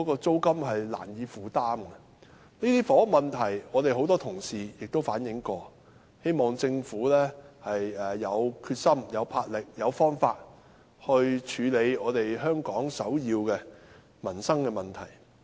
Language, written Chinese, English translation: Cantonese, 這些房屋問題，很多同事已反映過，我希望政府有決心、有魄力、有方法去處理香港這項首要民生問題。, These housing problems have already been relayed by many Honourable colleagues . I hope the Government will drum up the determination boldness and come up with methods to deal with this livelihood issue of top priority in Hong Kong